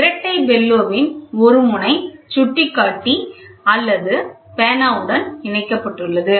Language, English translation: Tamil, One end of the double bellow is connected to the pointer or to the pen